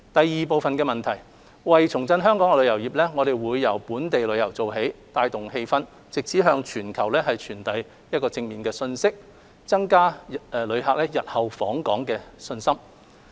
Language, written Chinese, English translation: Cantonese, 二為重振香港的旅遊業，我們會由本地旅遊做起，帶動氣氛，並藉此向全球傳遞正面信息，增加旅客日後訪港信心。, 2 In reviving Hong Kongs tourism sector we will start with local tourism with the aim of energizing the local community in order to send a positive message worldwide and enhance visitors confidence in visiting Hong Kong